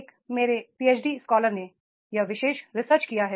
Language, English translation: Hindi, One of my PhD scholar has done this particular research